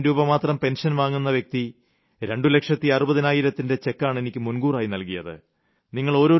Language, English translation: Malayalam, A man with a pension of sixteen thousand rupees sends me cheques worth two lakhs, sixty thousand in advance, is this a small thing